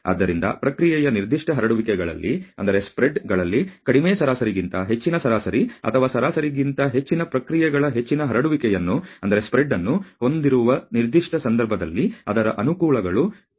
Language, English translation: Kannada, So, as I told you that its advantages in that particular case to have a greater spread of the processes at a higher average or a mean rather than a lower average mean in a lesser spreads have of the process